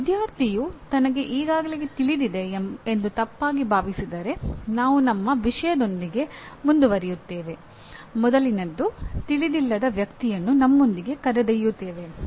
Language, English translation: Kannada, If a student mistakenly thinks that he already knows then we move forward with our subject taking a person along with you who did not know the earlier ones